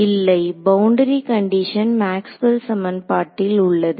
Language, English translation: Tamil, No the boundary conditions in Maxwell’s equations